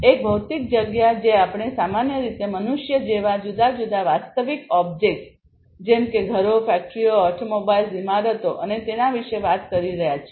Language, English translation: Gujarati, So, a physical space we are typically talking about you know different real objects like human beings, like houses, factories you know automobiles, buildings and so on